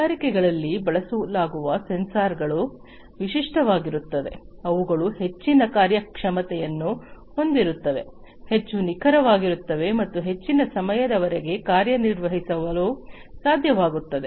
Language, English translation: Kannada, The sensors that are used in the industries are typically the ones, which have higher performance, are much more accurate, and are able to perform for longer durations of time